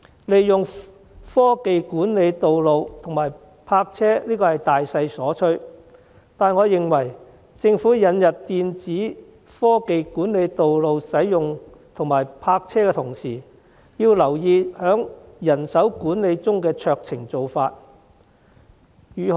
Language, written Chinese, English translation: Cantonese, 利用科技管理道路和泊車是大勢所趨，但我認為政府引入電子科技管理道路使用和泊車的同時，要留意在人手管理中的酌情做法。, The application of technologies for road management and car parking is a general trend but I think that the Government should exercise discretion in manpower management when introducing electronic technologies for road use management and car parking